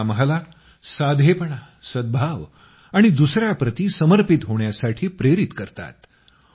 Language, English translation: Marathi, They inspire us to be simple, harmonious and dedicated towards others